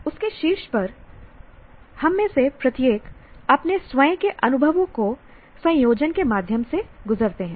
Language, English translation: Hindi, On top of that, each one of us goes through our own combination of experiences